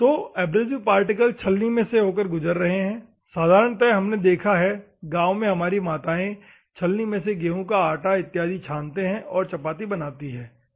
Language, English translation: Hindi, So, the abrasive particle passing through that particular sieve, normally you have seen no our mothers in villages they will sieve the wheat powder to make the rotis and other things, ok